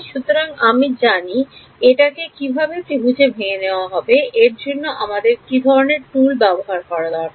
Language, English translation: Bengali, So, I do I how do I break into triangles what is the tool that I need for that